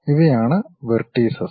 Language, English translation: Malayalam, These are the vertices